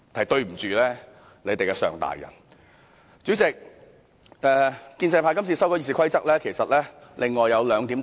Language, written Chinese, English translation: Cantonese, 代理主席，建制派今次修改《議事規則》還有另外兩個特色。, Deputy President there are also two other characteristics in the amendments proposed by the pro - establishment camp this time